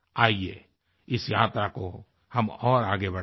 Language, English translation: Hindi, Come on, let us take this journey further